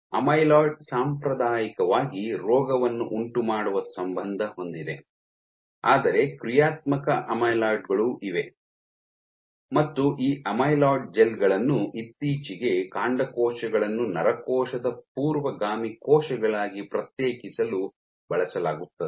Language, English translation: Kannada, So, though amyloid has traditionally been associated with disease causing, but there are functional amyloids also and these amyloid gels have recently been used for differentiating stem cells into neuronal precursor cells